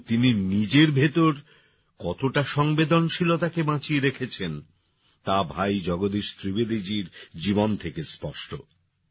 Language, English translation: Bengali, But how many emotions he lives within, this can be seen from the life of Bhai Jagdish Trivedi ji